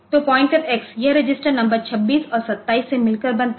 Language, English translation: Hindi, So, pointer X is this one so, this is consisting of register number 26 and 27